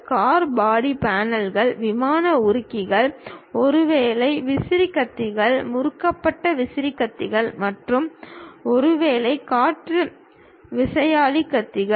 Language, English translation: Tamil, Car body panels, aircraft fuselages, maybe the fan blades, the twisted fan blades and perhaps wind turbine blades